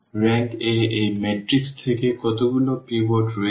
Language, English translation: Bengali, Rank of A will be from this matrix how many pivots are there